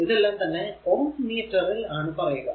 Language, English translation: Malayalam, It is resistivity it is ohm meter